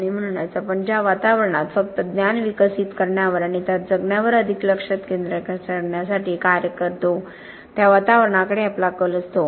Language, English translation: Marathi, And so we tend because of the environment within which we work to concentrate more on just developing the knowledge and living into that